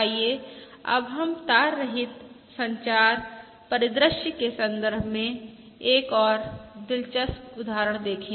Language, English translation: Hindi, Let us now look at another interesting example in the context of a wireless communication scenario